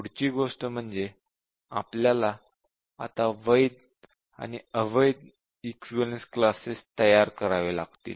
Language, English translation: Marathi, We need to really define different types of invalid equivalence classes